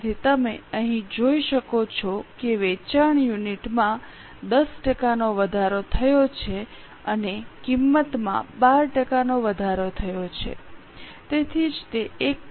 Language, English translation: Gujarati, So, you can see here there is an increase in sale unit by 10% and increase in the price by 12%